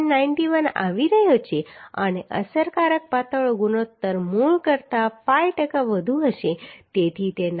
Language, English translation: Gujarati, 91 and the effective slenderness ratio will be 5 percent more than the original one so that is becoming 93